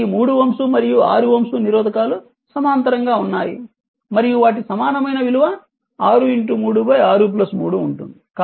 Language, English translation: Telugu, So, this 3 ohm and 6 ohm resistor are in parallel right and there equivalent will be 6 into 3 by 6 plus 3